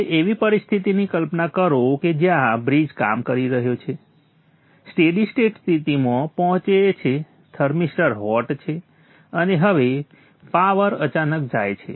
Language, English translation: Gujarati, Now imagine a situation where the bridge is working, it's reached a stable state, the thermister is hot, and now the power goes suddenly